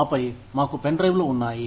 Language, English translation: Telugu, And then, we had pen drives